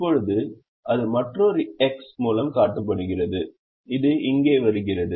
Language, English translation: Tamil, now that is shown by another x that is coming here